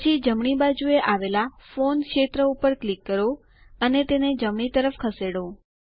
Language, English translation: Gujarati, Next, let us click on the Phone field on the left and move it to the right